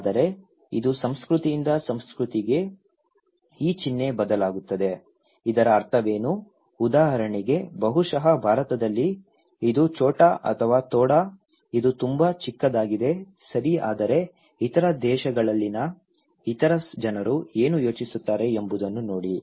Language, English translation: Kannada, But also it varies from culture to culture this symbol, what is the meaning of this one for example, maybe in India, this is chota or thoda, it is very small amount, okay but look into other what other people in other countries they think